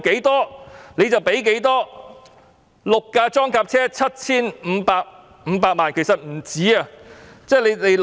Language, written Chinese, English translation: Cantonese, 六部裝甲車 7,500 萬元，其實不止這數目。, Six armoured personnel carriers cost 75 million and that is not all